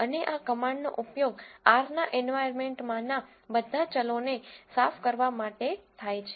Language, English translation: Gujarati, And this command here is used to clear all the variables in the environment of R